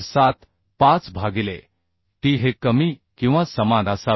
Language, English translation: Marathi, 75 by t should be less than or equal to 189